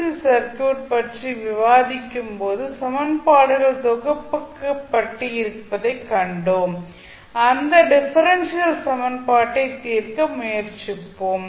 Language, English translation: Tamil, So when we were discussing the RLC circuits we saw that there were differential equations compiled and we were trying to solve those differential equation